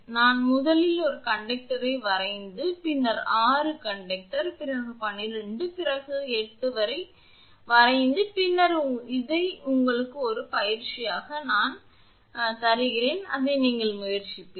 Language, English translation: Tamil, You will draw the diagram first one conductor then 6 conductor then 12 then 8 and then you try to find out this is an exercise for you